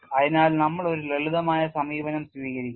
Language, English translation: Malayalam, So, we would take out a simpler approach